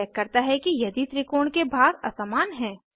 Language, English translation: Hindi, It checks whether sides of triangle are unequal